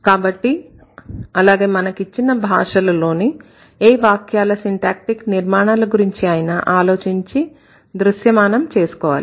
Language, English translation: Telugu, So, that is how we visualize when we think about syntactic structure of any given sentence in any of the languages